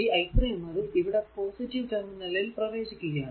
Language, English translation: Malayalam, And here i 3 actually entering into the positive terminal so, v 3 will be 12 i 3